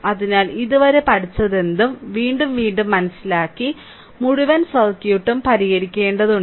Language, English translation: Malayalam, So, whatever we have studied till now again and again you have to solve the whole circuit right